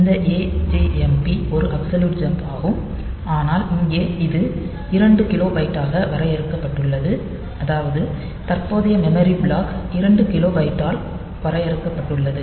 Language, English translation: Tamil, So, this AJMP so, is the is an absolute jump, but here this it is limited to 2 kilobyte from the in the that is the current memory block so, limited in 2 kilobyte